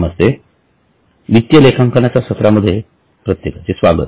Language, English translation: Marathi, Namaste Welcome everybody to our session sessions on financial accounting